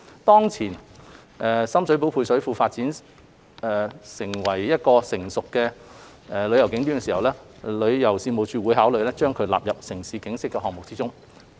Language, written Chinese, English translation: Cantonese, 當前深水埗配水庫發展為成熟的旅遊景點時，旅遊事務署會考慮將其納入"城市景昔"項目之中。, When the Ex - Sham Shui Po Service Reservoir is developed into a tourist attraction TC will consider featuring the place in the City in Time